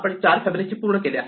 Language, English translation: Marathi, Now, we are back to Fibonacci of 4